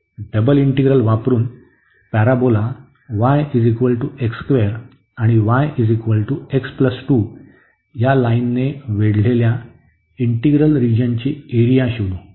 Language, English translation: Marathi, So, here using a double integral find the area of the region enclosed by the parabola y is equal to x square and y is equal to x